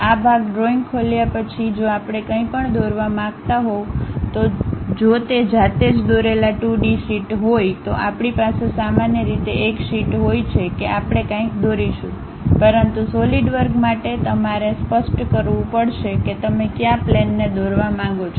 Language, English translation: Gujarati, After opening this part drawing, if we want to draw anything if it is a 2D sheet what manually we draw, we have a sheet normal to that we will draw anything, but for Solidwork you have to really specify on which plane you would like to draw the things